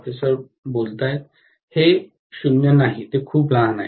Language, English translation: Marathi, It is not 0, it is very small